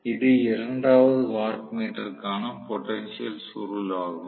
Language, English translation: Tamil, This is also the potential coil for the second watt meter